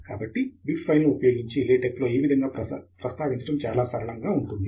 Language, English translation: Telugu, So referencing this way using bib file in LaTeX is quite straight forward